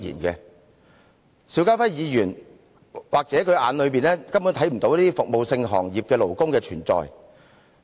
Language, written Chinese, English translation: Cantonese, 在邵家輝議員的眼中，也許根本看不到服務行業的勞工的存在。, In the eyes of Mr SHIU Ka - fai the labourers of the service sector are probably outright non - existent